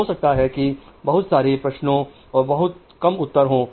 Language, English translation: Hindi, So, there will be more questions and there will be less answers